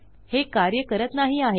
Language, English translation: Marathi, No, its not working